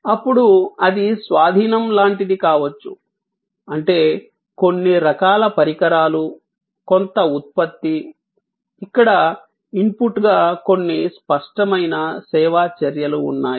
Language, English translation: Telugu, Then, it could be like possession; that mean some kind device, some product, where there are some tangible service actions as input